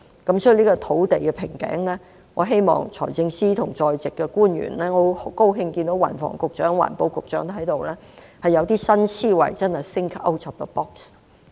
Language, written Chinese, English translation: Cantonese, 因此，在土地瓶頸上，我希望財政司司長和在席的官員——我很高興看到運輸及房屋局局長、環境局局長在席——能夠有新思維，真的 think out of the box。, Hence in respect of the bottleneck of land I hope that the Financial Secretary and other officials present―I am glad to see the Secretary for Transport and Housing and the Secretary for the Environment―will have new thoughts and really think out of the box